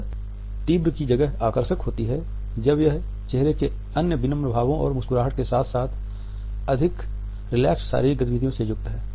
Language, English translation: Hindi, It is attractive rather than intense when it is accompanied by other softer facial expressions and a smiles and with more relaxed body movements